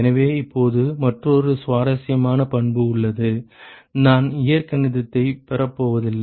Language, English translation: Tamil, So, now there is another interesting property, I am not going to derive the algebra